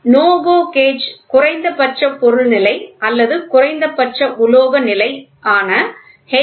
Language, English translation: Tamil, The NO GO gauge is designed to check minimum material condition or minimum metal condition that is H